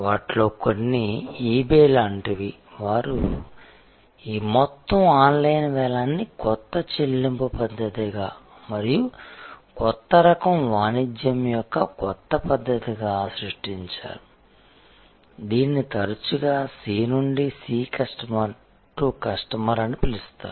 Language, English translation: Telugu, Some of them are like eBay, they created this entire online auction as a new method of payment and as a new method of a new type of commerce, which is often called C to C Customer to Customer